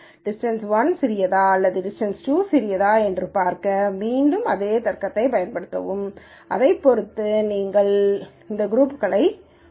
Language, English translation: Tamil, And again use the same logic to see whether distance 1 is smaller or distance 2 smaller and depending on that you assign these groups